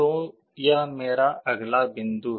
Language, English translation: Hindi, So, this is my next point